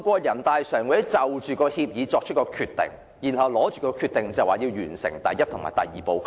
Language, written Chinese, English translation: Cantonese, 人大常委會就《合作安排》作出決定後，便完成"一地兩檢"安排的第一步及第二步程序。, After NPCSC had made a decision on the Co - operation Arrangement Step 1 and Step 2 of the co - location arrangement have been completed